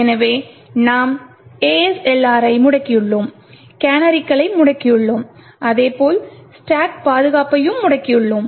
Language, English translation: Tamil, So we have disabled ASLR, we have disabled canaries, as well as we have disabled the stack protection